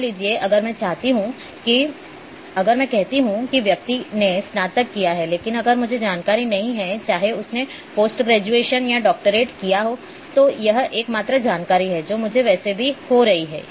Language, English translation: Hindi, Suppose, if I say the person has done graduation, but if I do not have information, whether he has done post graduation or doctoral then that that is the only information which I am having at that stage anyway